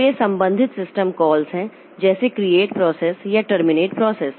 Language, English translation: Hindi, So, these are some of the related system calls like create process or terminate process